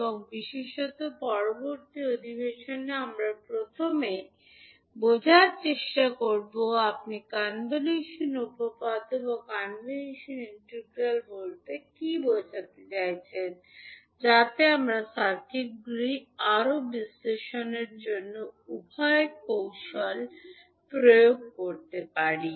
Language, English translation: Bengali, And particularly in next session, we will first try to understand, what do you mean by convolution theorem and convolution integral, so that we can apply both of the techniques to further analyze the circuits